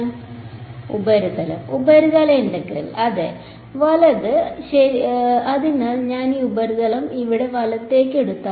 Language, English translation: Malayalam, Surface integral right so, if I take this surface over here right